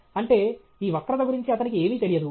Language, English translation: Telugu, That means he does not know anything about this curve